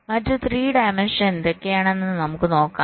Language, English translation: Malayalam, what are the other three dimensions